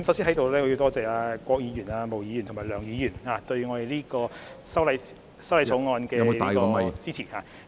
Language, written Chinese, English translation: Cantonese, 主席，我在此先多謝郭議員、毛議員和梁議員對修正案予以支持......, Chairman first of all I would also like to express gratitude to Dr KWOK Ms MO and Mr LEUNG for their support for the amendments